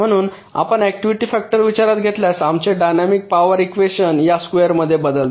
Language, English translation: Marathi, so if you take the activity factor into account, our dynamics power equation changes to this square